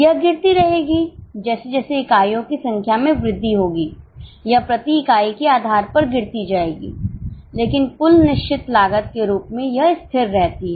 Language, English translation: Hindi, It will keep on falling as the number of units increase on a per unit basis it will fall but as a total fixed cost it remains constant